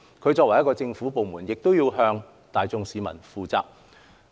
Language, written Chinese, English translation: Cantonese, 港台作為政府部門，需要向大眾市民負責。, As a government department RTHK is responsible to the general public